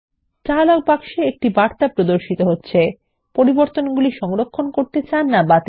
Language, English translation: Bengali, A dialog box with message Save or Discard changes appears